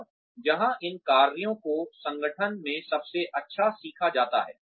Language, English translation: Hindi, And, where these tasks are best learnt in the organization